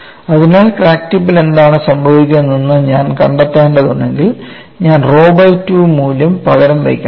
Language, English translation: Malayalam, So, if I have to find out what happens at the crack tip, I have to substitute the value of rho by 2